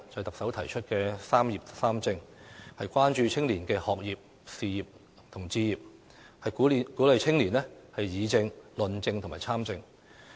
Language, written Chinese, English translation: Cantonese, 特首提出"三業三政"，關注青年的學業、事業及置業，並鼓勵青年議政、論政及參政。, The Chief Executive pledges to address young peoples concerns about education career pursuit and home ownership and encourage their participation in politics as well as public policy discussion and debate